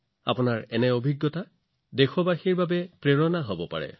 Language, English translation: Assamese, Your experiences can become an inspiration to many other countrymen